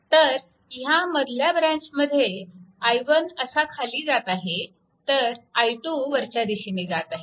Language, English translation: Marathi, So, direction is downwards and this i 1 direction is downwards and this is going upwards